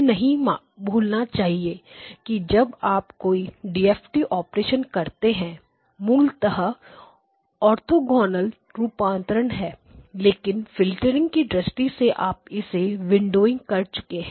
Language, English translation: Hindi, Never forget that underlying any DFT operation if you just take that DFT yes, its an orthogonal transform but at the from a filtering point of view you have windowed it and you have done that